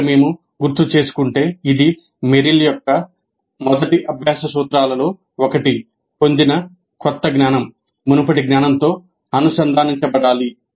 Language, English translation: Telugu, If we recall this is also one of the Merrill's first principles of learning that the new knowledge acquired must be integrated with the previous knowledge